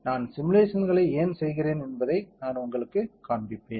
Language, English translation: Tamil, I will do I will show it you why we do the simulations